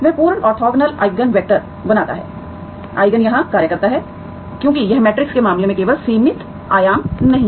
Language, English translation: Hindi, That form complete orthogonal Eigen vectors, okay, Eigen functions here because it is, it is not simply finite dimension as in the case of matrices